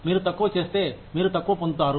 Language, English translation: Telugu, If you do less, you get less